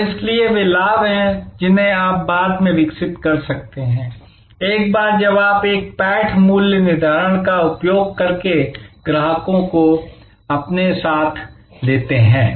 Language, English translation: Hindi, And therefore, those are benefits, which you can develop later, once you have by using a penetration pricing the customers with you